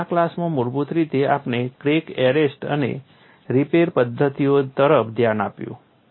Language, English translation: Gujarati, And in this class essentially we looked at crack arrest and repair methodologies